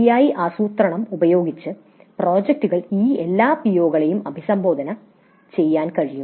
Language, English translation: Malayalam, With proper planning, projects can address all these POs